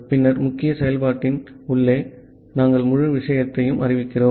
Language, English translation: Tamil, And then inside the main function, we are declaring the entire thing